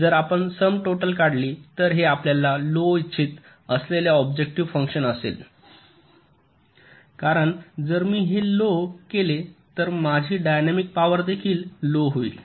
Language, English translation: Marathi, so if you take the sum total, this will be the objective function that you want to minimize, because if i minimize this, my dynamic power will also be minimum